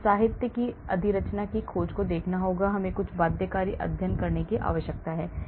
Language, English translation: Hindi, We have to look at literature substructure search, we need to do some binding studies